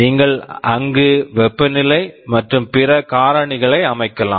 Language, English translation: Tamil, You can set the temperatures and other factors there